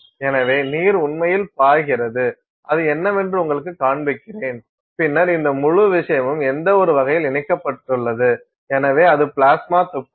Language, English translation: Tamil, So, the water is actually flowing you are I am just showing you what will be visible, then this whole thing is connected up in some sense; so, that is your plasma gun